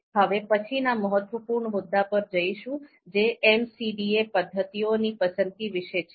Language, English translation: Gujarati, Now, we move to you know next important point that is about selection of MCDA MCDA methods